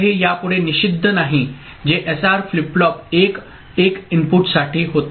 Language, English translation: Marathi, So, this is no more forbidden which was the case for SR flip flop the 1 1 input